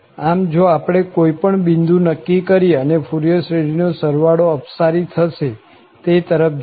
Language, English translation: Gujarati, So, if we choose any point and the sum of the Fourier series diverges, it goes to infinity